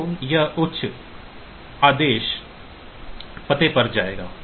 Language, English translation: Hindi, So, it will go to the higher order address ok